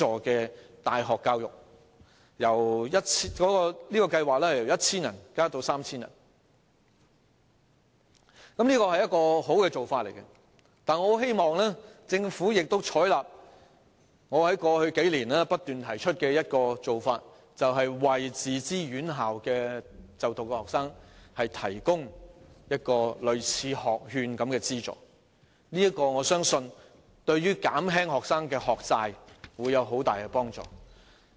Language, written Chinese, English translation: Cantonese, 這項計劃的資助學額由最初的 1,000 個增加至 3,000 個，這是好的做法，但我很希望政府亦採納我在過去數年不斷提出的一種做法，就是為自資院校的學生提供類似學券的資助，我相信對於減輕學生的學債會有很大幫助。, The number of subsidized places under this programme will be increased from the original 1 000 to 3 000 . This is a good approach but I hope that the Government will also adopt an approach which I have been proposing all along over the past few years that is providing students in self - financed institutions with a subsidy similar to the education voucher . I believe it will be of great help in relieving the students burden of debts